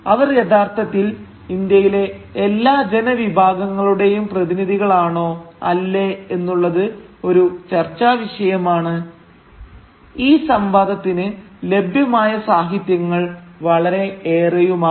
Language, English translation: Malayalam, Now whether they were truly representative of the interests of all the sections of Indian population or not is a matter of debate, and indeed the literature available on this debate is voluminous